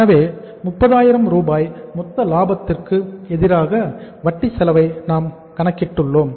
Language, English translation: Tamil, So it means against 30,000 of gross profit we have calculated the interest expense